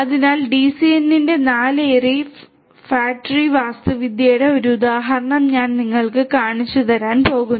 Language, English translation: Malayalam, So, I am going to show you an example of a 4 ary fat tree architecture of DCN